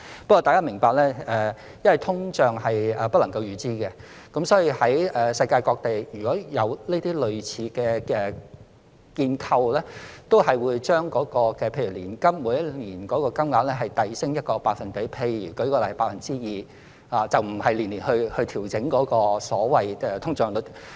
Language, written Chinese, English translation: Cantonese, 不過，大家要明白，因為通脹是不能夠預知的，所以世界各地有類似建構的地方都會把例如年金的每年金額遞升1個百分點，例如 2%， 而不是每年按通脹率調整。, However we have to understand that since inflation is unpredictable places all over the world that have similar frameworks in place will for example increase the annual annuity amount by a percentage say 2 % instead of adjusting it annually in accordance with the inflation rate